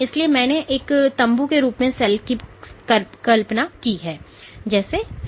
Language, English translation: Hindi, So, I would like to imagine the cell as a tent